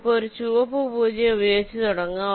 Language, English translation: Malayalam, lets start with a red zero